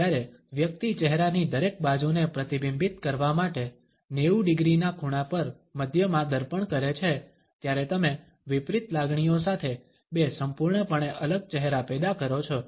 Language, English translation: Gujarati, When the person mirror down the middle at an angle of 90 degrees to reflect each side of a face you produce two completely different faces with opposite emotions